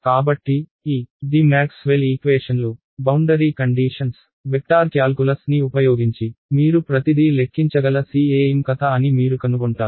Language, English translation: Telugu, So, you will find that this is going to be the story of CEM, using Maxwell’s equations, boundary conditions, vector calculus you can calculate everything ok